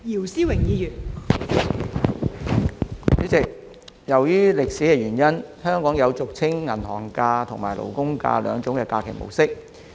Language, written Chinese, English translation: Cantonese, 代理主席，由於歷史原因，香港有俗稱"銀行假"和"勞工假"兩種假期模式。, Deputy President owing to historical reasons there are two kinds of holidays in Hong Kong that are commonly known as bank holidays and labour holidays